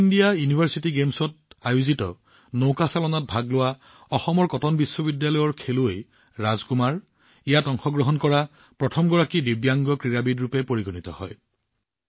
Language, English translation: Assamese, In the rowing event at the Khelo India University Games, Assam's Cotton University's Anyatam Rajkumar became the first Divyang athlete to participate in it